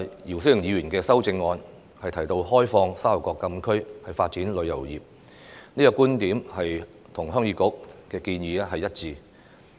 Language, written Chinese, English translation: Cantonese, 姚思榮議員的修正案提到開放沙頭角禁區發展旅遊業，這個觀點與鄉議局的建議一致。, Mr YIU Si - wings amendment is about opening up the closed area of Sha Tau Kok Town for the development of tourism and this viewpoint is consistent with the proposal of Heung Yee Kuk